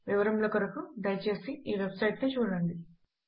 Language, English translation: Telugu, For details please visit this website